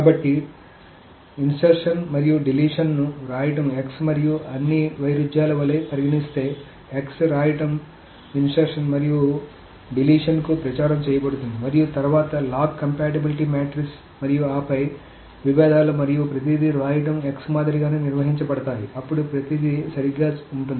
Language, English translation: Telugu, So if insertion and deletion are treated like right x and all the conflicts that right x has is propagated to insertion and deletion and then the log compatibility matrix and then the conflicts and everything is handled in the same manner as the right x then everything will be correct so that is the case with insertion and deletion so that is the way to handle insertion and deletion